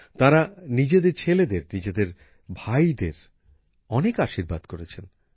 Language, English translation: Bengali, They have given many blessings to their son, their brother